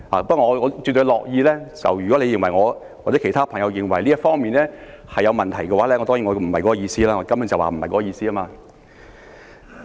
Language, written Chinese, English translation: Cantonese, 不過，如果他或者其他朋友認為我在這方面有問題，我要表示，我根本不是那個意思。, Anyway if Mr TAM or other Members think that my words have given rise to a problem I must say that was not my intended meaning